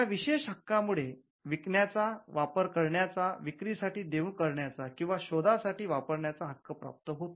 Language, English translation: Marathi, The exclusive right pertains to the right to make sell, use, offer for sale or import the invention